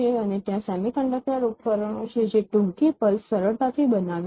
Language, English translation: Gujarati, And there are semiconductor devices which easily generate the short pulses